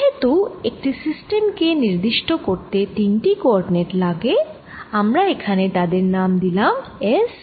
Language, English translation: Bengali, i need three point to three coordinates to specify the system and we have given this name: s, phi and z